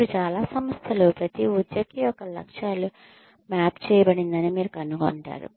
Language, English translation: Telugu, Now, many organizations, you will find that, the goals of every single employee are mapped